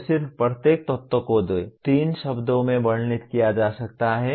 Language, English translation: Hindi, It could be just each element can be described in two, three words